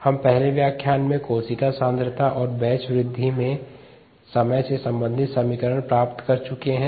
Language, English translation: Hindi, we have already derived the equation relating the cell concentration and time in batch growth in the previous lecture